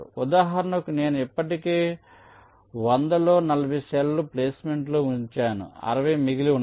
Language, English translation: Telugu, like, for example, out of the hundred i have already placed forty cells, sixty are remaining